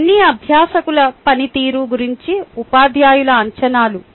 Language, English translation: Telugu, they are all teachers expectations about learners performance